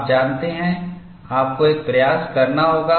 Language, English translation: Hindi, You know, you have to make an attempt